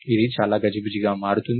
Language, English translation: Telugu, So, this becomes very cumbersome